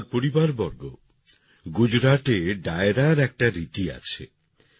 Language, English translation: Bengali, My family members, there is a tradition of Dairo in Gujarat